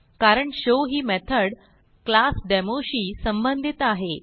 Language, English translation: Marathi, This is because the show method belongs to the class Demo